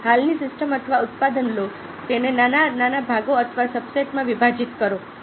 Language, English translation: Gujarati, take an existing system or product, break it down in to small parts or subsets